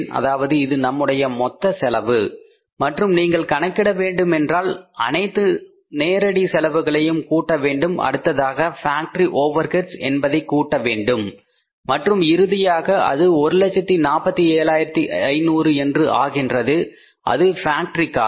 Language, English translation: Tamil, I am writing it again so it means this is our total cost and if you have to calculate you have to add up all the direct cost then you have to add up the factory overheads and finally it becomes the 1 lakh 47,500s as the factory cost